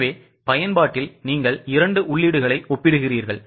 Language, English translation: Tamil, So, in usage, you are comparing the two inputs